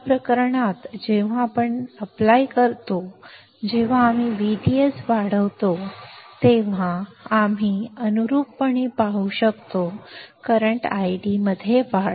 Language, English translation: Marathi, In this case when we apply, when we increase V D S we can see correspondingly, increase in current I D